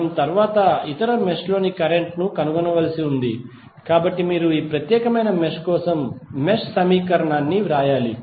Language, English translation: Telugu, We have to next find out the current in other mesh, so you have to just write the mesh equation for this particular mesh